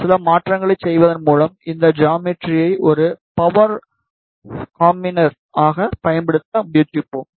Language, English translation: Tamil, And we will try to use this geometry as a power combiner by doing some modifications